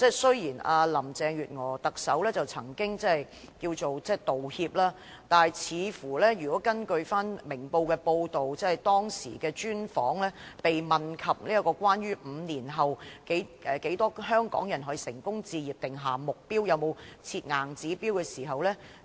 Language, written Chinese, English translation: Cantonese, 雖然特首林鄭月娥後來作出道歉，但根據《明報》該篇專訪，她被問及會否就香港人在5年內成功置業的數字定下目標，以及有否設定硬指標。, Chief Executive Carrie LAM later made apologies but according to Ming Paos report of that special interview she was asked whether she would set any target on the number of successful home purchases by Hongkongers in five years and whether there was any hard target . What Carrie LAM said about the situation of PRH does not seem to be a slip of the tongue